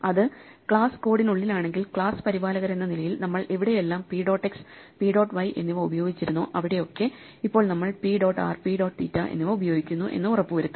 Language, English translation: Malayalam, See if it is inside the class code, then as the maintainers of the class we would make sure that wherever we used to use p dot x and p dot y we now use p dot r and p dot theta